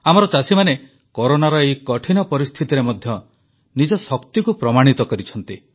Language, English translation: Odia, Even during these trying times of Corona, our farmers have proven their mettle